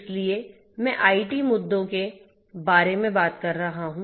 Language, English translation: Hindi, So, I have been talking a lot about the IT issues